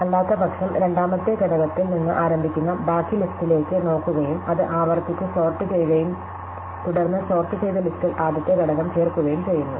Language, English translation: Malayalam, Otherwise, we look at the rest of the list starting from the second element and we recursively sort it, right, and then we insert the first element into the sorted list